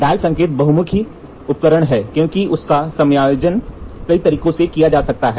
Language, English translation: Hindi, The dial indicators are versatile instruments because their mounting adapts them to many methods of support